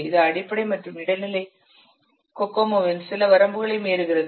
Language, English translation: Tamil, It overcome some of the limitations of basic and intermediate Kokomo